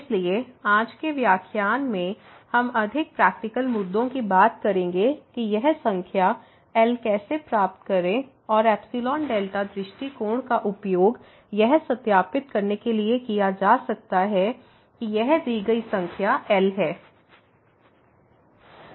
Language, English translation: Hindi, So, in today’s lecture we will look for more practical issues that how to get this number and the epsilon delta approach may be used to verify that this given number is